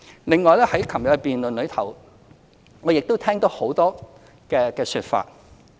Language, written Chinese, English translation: Cantonese, 另外在昨天的辯論，我亦聽到很多說法。, Moreover in the debate yesterday I heard many other comments too